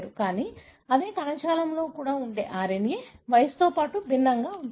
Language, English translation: Telugu, But the RNA which is present even in the same tissue, with age it is going to be different